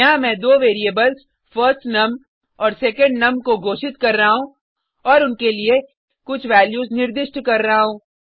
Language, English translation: Hindi, Here I am declaring two variables firstNum and secondNum and I am assigning some values to them